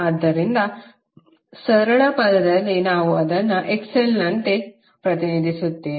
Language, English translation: Kannada, So in simple term we represent it like XL